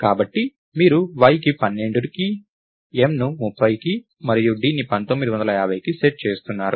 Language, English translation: Telugu, So, you are setting y to 12, m to 30 and d to 1950